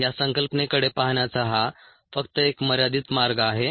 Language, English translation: Marathi, ah, this is only a limited way of ah looking at this concept